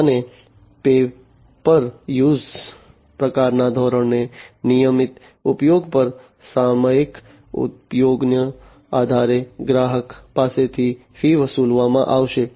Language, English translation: Gujarati, And on a regular use on a paper use kind of basis, based on the periodic usage, the fees are going to be charged to the customer